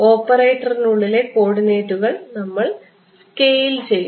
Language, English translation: Malayalam, We are scaling the coordinates within the operator within the operator